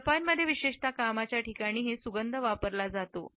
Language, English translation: Marathi, In Japan particularly fragrance is used in the workplace also